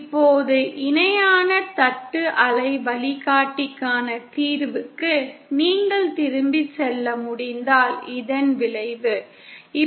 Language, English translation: Tamil, Now the consequence of this if you can go back to the solution for the parallel plate waveguide